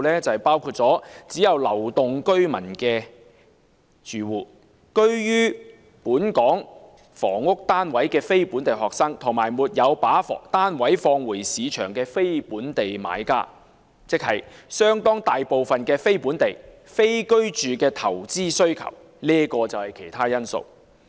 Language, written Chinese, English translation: Cantonese, 就是包括"只有流動居民的住戶"、"居於本港房屋單位的非本地學生"，以及"沒有把單位放回市場的非本地買家"，即相當大部分是非本地、非居住的投資需求。, They include units occupied by households with mobile residents only non - local students who may take up accommodation in Hong Kong and buyers from outside Hong Kong who may purchase flats without channelling them back to the market . That means the majority of them represent the non - residential investment demands of non - local residents